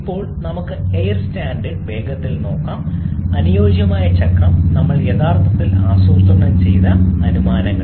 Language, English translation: Malayalam, Now let us quickly look at the air standard assumptions using which we have actually plotted the ideal cycle